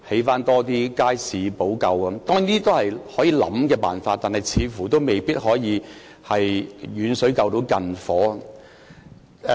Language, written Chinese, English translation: Cantonese, 當然，這些都是可以考慮的方法，但似乎未必可以"遠水救近火"。, Certainly these are approaches that merit consideration but they seem to be distant water which cannot put out the fire nearby